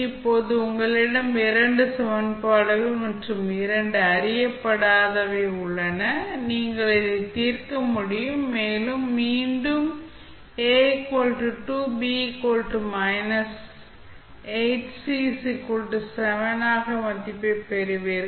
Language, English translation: Tamil, Now, you have two equations and two unknowns, you can solve and you will get the value again as A is equal to 2, B is equal to minus 8 and C is equal to seven